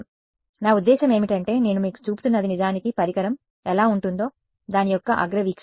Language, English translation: Telugu, So, I mean what I am showing you is actually a top view of what the device will look like